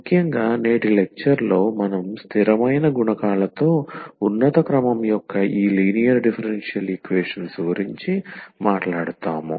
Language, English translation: Telugu, And in particular in today’s lecture we will be talking about these linear differential equations of higher order with constant coefficients